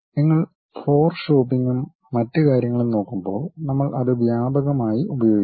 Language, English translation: Malayalam, When you are really looking at floor shopping and other things, we will extensively use that